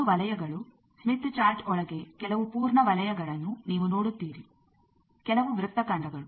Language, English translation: Kannada, Two circles you see some full circles inside the smith chart some are arcs